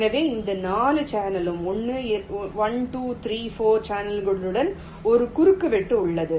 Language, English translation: Tamil, so with this channel there is a intersection with one, two, three, four mode channels